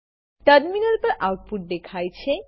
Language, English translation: Gujarati, The following output is displayed on the terminal